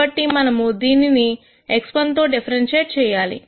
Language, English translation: Telugu, So, we have to differentiate this with respect to x 1